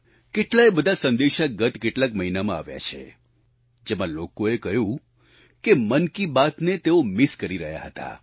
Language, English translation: Gujarati, Over the last few months, many messages have poured in, with people stating that they have been missing 'Mann Ki Baat'